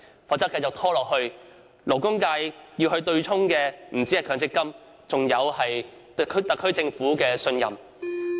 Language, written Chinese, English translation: Cantonese, 否則，如問題一拖再拖，被對沖的不單是強積金，還有對特區政府的信任。, If the problem is allowed to be dragged on further it will not only offset the benefits in MPF accounts but also offset the public trust in the SAR Government